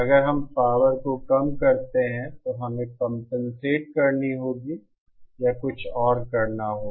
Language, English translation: Hindi, So but then if we reduce the power, then we have to compensate or something